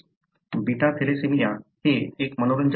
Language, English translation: Marathi, An interesting example is beta thalassemia